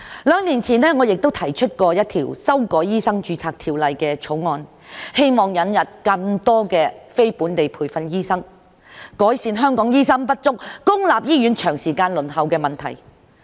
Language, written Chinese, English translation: Cantonese, 兩年前，我亦曾提出一項修改《醫生註冊條例》的條例草案，希望引入更多非本地培訓醫生，改善香港醫生不足、公立醫院輪候時間長的問題。, Two years ago I proposed to amend the Medical Registration Ordinance to introduce more non - locally trained doctors to Hong Kong so as to alleviate the problems of inadequate doctors and long waiting time for public hospital services